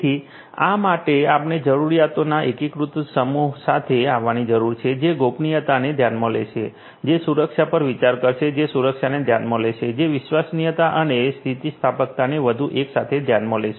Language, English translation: Gujarati, So, for this basically we need to come up with an integrated set of requirements which will consider privacy, which will consider safety, which will consider security, which will consider reliability and resilience everything together ok